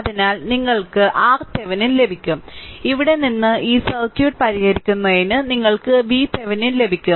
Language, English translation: Malayalam, So, you have from here, you will get R Thevenin and from here solving this circuit, you will get V Thevenin